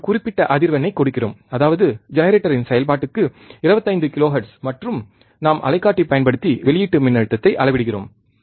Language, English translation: Tamil, We are giving a particular frequency; that is, 25 kilohertz to function generator, and we are measuring the output voltage using the oscilloscope